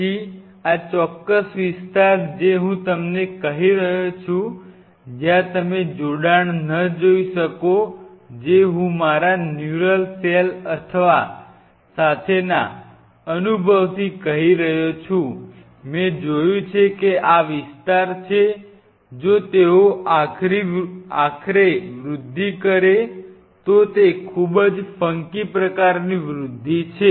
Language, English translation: Gujarati, Then this particular zone what I am telling you is where you may not see an attachment at least from my experience with neural cell I have seen these are the zones even if they attach eventual growth is kind of very funky kind of growth